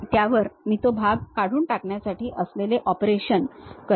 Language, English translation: Marathi, On that I will make operation like remove that portion, remove that portion